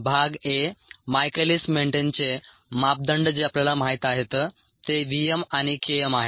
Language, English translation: Marathi, part a: michaelis menten parameters, which we know are v, m and k m n